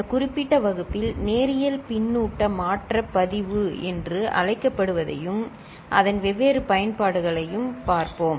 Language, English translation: Tamil, We shall look at what is called Linear Feedback Shift Register in this particular class and its different uses